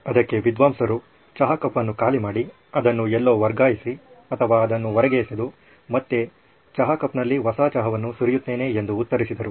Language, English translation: Kannada, And the scholar answered well empty the tea cup, transfer it somewhere or just throw it out and start pouring it again that’s how you get new tea into the tea cup